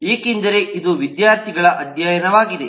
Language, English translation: Kannada, because student study